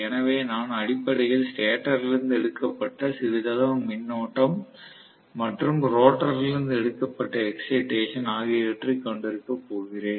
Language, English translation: Tamil, So I am probably going to have basically some amount of current drawn from the stator, some amount of excitation given from the rotor